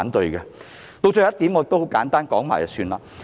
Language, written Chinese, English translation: Cantonese, 至於最後一點，我會簡單說說。, I will briefly talk about my final point